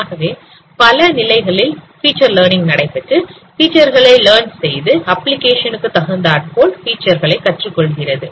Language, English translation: Tamil, So multiple stages of feature learning processes involved and it learns features adaptively